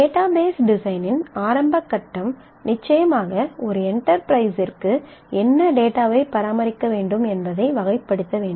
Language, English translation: Tamil, The initial phase of database design certainly has to characterize what data is required to be maintained for an enterprise